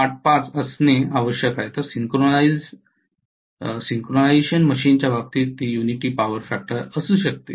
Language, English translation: Marathi, 85 at the most whereas in the case of synchronous machine it can be unity power factor